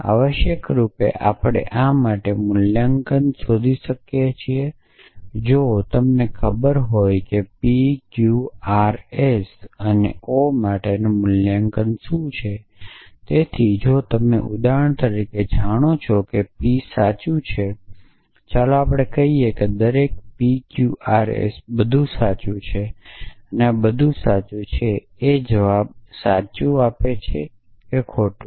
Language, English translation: Gujarati, Essentially, we can find a valuation for this if you know what the valuation for p q r and s is, so if you know for example, the p is true, let us say every p q r s everything is true and this true implies true or false implies true